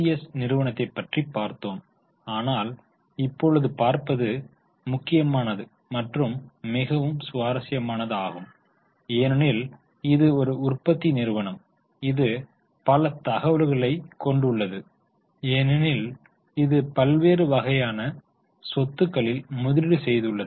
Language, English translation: Tamil, Now last time we had studied PCS but this is important and more interesting because this is a manufacturing company which is which has more figures because it invests in variety of types of assets